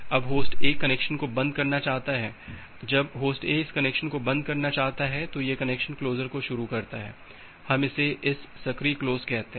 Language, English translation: Hindi, Now Host A want to close the connection, when Host A wants to close the connection at it initiates this connection closure we call it as an active close